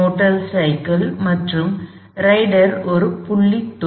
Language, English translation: Tamil, We are modeling the motor cyclist plus the rider as a point Particle